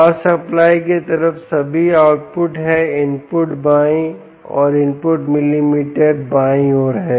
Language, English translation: Hindi, the input are on the left, the input multimeters on the left side